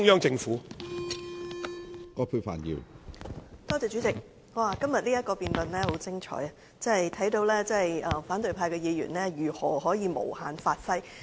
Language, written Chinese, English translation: Cantonese, 主席，今天這項議案辯論的確很精彩，可見反對派議員如何可以借題無限發揮。, President the debate on the motion today is very spectacular indeed . It shows how opposition Members could fully exploit the opportunity to talk about something irrelevant